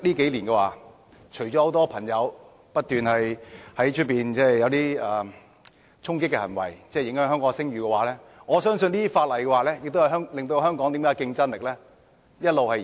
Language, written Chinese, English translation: Cantonese, 近年很多人不斷作出衝擊的行為，影響香港的聲譽，而這些法例亦令香港的競爭力一直下降。, The last several years have seen many people continuously resorting to charging acts to the detriment of Hong Kongs reputation while these laws have also led to a continued decline in the competitiveness of Hong Kong